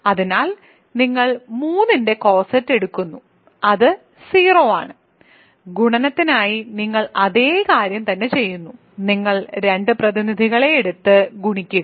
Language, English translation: Malayalam, So, you take the coset of 3 which is 0, you do exactly the same thing for multiplication, you take two representatives and multiply them